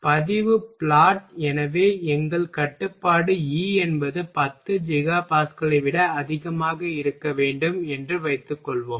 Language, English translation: Tamil, Log plot; so suppose that our constraint is E should be greater than 10 Giga Pascal